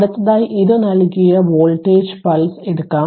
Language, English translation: Malayalam, And next we will take a voltage pulse given by this right